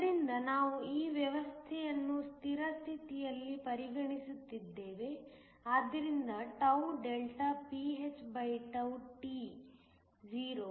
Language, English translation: Kannada, So, we are considering this system at steady state so that, pnt is 0